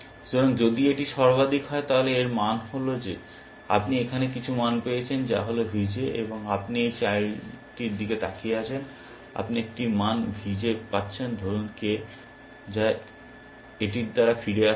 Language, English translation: Bengali, So, if it is max, it means that, you have got some value here, which is V J, and you have looking at this child, and your getting a value V J, let say k, which is return by this